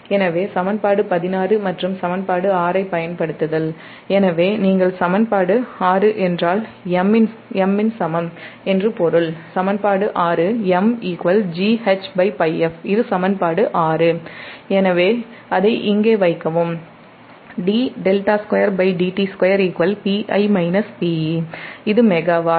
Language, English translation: Tamil, so using equation sixteen and equation six, so if you equation six means that m is equal to in equation six, m is equal to g h up on pi f